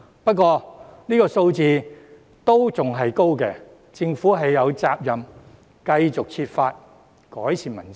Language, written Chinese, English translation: Cantonese, 不過，這數字仍然偏高，政府有責任繼續設法改善民生。, Nevertheless the rate is still on the high side and the Government is duty - bound to conceive ways to improve peoples livelihood on an ongoing basis